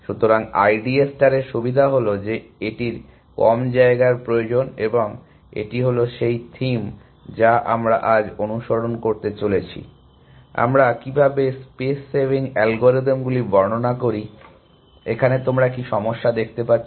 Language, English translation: Bengali, So, the advantages of I D A star is that it needs less space and this is the theme that we are going to follow today, how can we look at space saving algorithms, but what is a disadvantage that you can think of